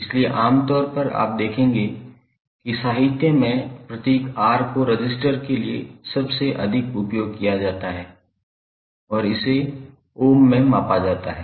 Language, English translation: Hindi, So, generally you will see that in the literature, the symbol R is most commonly used for the resistance